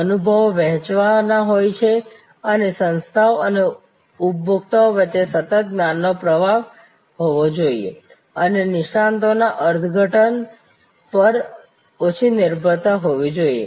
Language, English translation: Gujarati, Experiences are to be shared and there has to be a continuous knowledge flow between the organization and the consumer and less reliance on interpreting experts